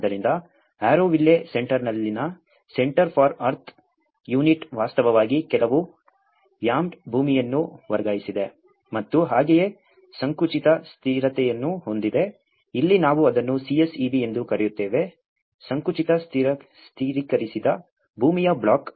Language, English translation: Kannada, So, where center for earth unit in the Auroville Center has actually transferred some rammed earth and as well the compressed stabilized, here we call it as CSEB, compressed stabilized earth block